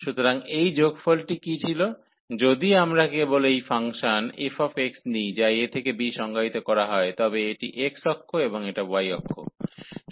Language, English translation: Bengali, So, what was this sum, if we just take this function f x which is defined from a to b, this is x axis and we have your y axis